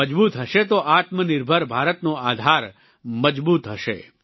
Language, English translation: Gujarati, If they remain strong then the foundation of Atmanirbhar Bharat will remain strong